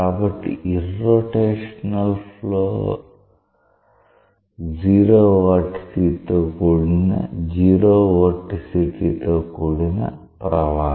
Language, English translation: Telugu, So, irrotational flow is a flow with 0 vorticity